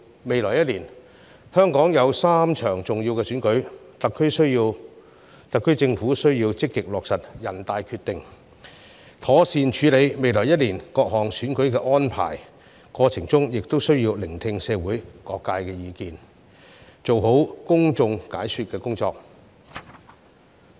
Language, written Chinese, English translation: Cantonese, 未來1年，香港有3場重要的選舉，特區政府需要積極落實全國人大的《決定》，妥善處理未來1年各項選舉的安排，過程中亦需要聆聽社會各界意見，做好公眾解說的工作。, Hong Kong will hold three major elections in the coming year . It is necessary for the SAR Government to actively implement the Decision of NPC and properly make arrangements for the various elections to be held in the coming year and in the process it is necessary to listen to the views of various sectors of the community and aptly explain the details to the public